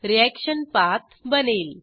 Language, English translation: Marathi, Reaction path is created